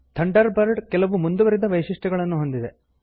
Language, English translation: Kannada, Thunderbird also has some advanced features